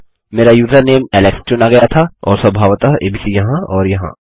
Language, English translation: Hindi, My username chosen was alex and of course abc here and here